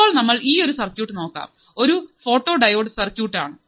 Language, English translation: Malayalam, Now, let us consider this particular circuit, which is our photodiode circuit